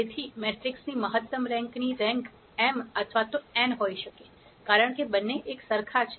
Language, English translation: Gujarati, So, the rank of the maximum rank of the matrix can be m or n, because both are the same